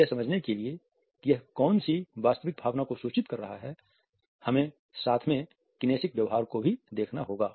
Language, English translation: Hindi, In order to understand what exactly is the emotion which is being conveyed, we have to look at accompanying kinesicbehavior